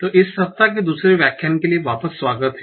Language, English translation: Hindi, So, welcome back for the second lecture of this week